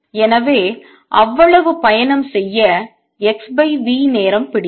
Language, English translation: Tamil, So, it took time x by v to travel that much